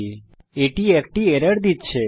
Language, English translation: Bengali, Hence it is giving an error